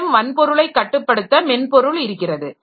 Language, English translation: Tamil, One thing is controlling the hardware